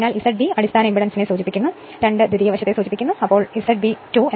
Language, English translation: Malayalam, So, Z B stands for your base impedance and 2 stands for secondary side so, Z B 2 is equal to V 2 upon I 2